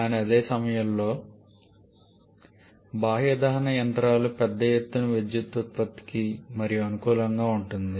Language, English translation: Telugu, But at the same time external combustion engines are more suitable for large scale power generation